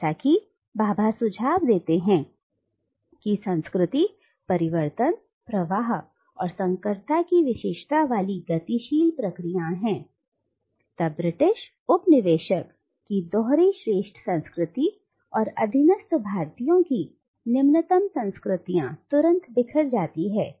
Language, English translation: Hindi, Now as Bhabha suggests cultures are dynamic processes characterised by change, flux, and hybridity, then the binary of a superior culture of the British coloniser and an inferior culture of the subjugated Indians immediately break down